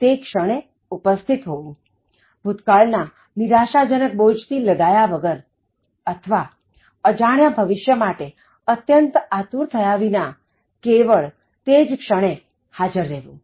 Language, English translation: Gujarati, Being present at that moment, the present moment only without getting bogged down by a very depressive past or feeling very anxious about an unknown future